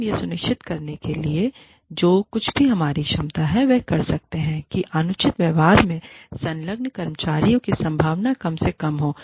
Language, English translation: Hindi, And, we can do, whatever is in our capacity, to ensure that, the chances of employees, engaging in unreasonable behavior, are minimized